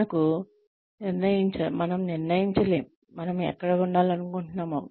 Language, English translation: Telugu, We cannot decide, what we need to get to where we want to be